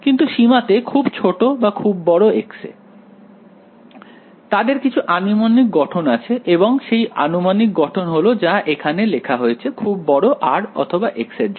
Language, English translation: Bengali, But under some limits very small x very large x or whatever, they have some approximate form and that approximate form has been written over here for large values of r or x whatever ok